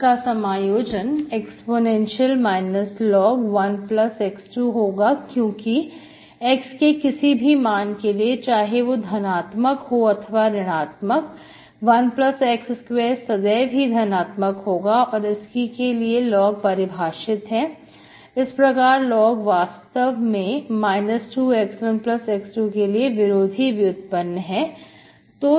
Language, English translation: Hindi, e power minus log 1+ x square because for, for any x, x positive or negative, 1+ x square is always positive for which log is defined, so this is exactly you log of this is actually anti derivative of your 2X by 1+ x square